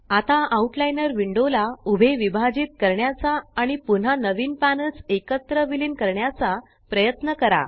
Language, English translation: Marathi, Now, try to divide the Outliner window vertically and merge the new panels back together again